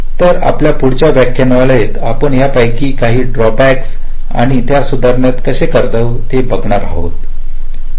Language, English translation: Marathi, so in our next lecture we shall be looking at some of these draw backs and how to rectify them